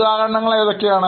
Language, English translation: Malayalam, What are the examples